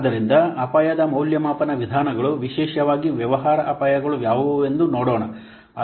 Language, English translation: Kannada, So let's see what are the risk evaluation methods, particularly business risks